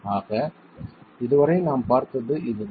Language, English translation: Tamil, So, this is what we have seen so far